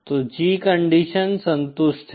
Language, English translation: Hindi, So the G condition is satisfied